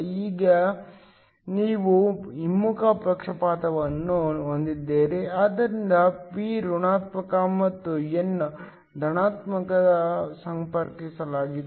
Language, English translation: Kannada, Now, you have a reverse bias, so p is connected to negative and n is connected to positive